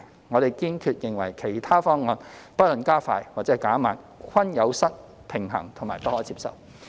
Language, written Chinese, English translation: Cantonese, 我們堅決認為其他方案，不論加快或減慢，均有失平衡及不可接受。, We strongly believe other proposals whether to advance or postpone the implementation are unbalanced and unacceptable